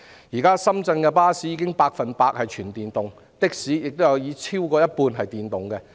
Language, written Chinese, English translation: Cantonese, 現時，深圳的巴士已是百分百電動車，的士也有過半數是電動車。, Currently 100 % of the buses and more than half of the taxis in Shenzhen have already gone electric